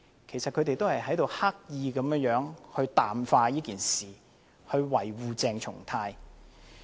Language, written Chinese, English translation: Cantonese, 其實他們是刻意淡化事件，維護鄭松泰議員。, In fact they are deliberately downplaying the incident to defend Dr CHENG Chung - tai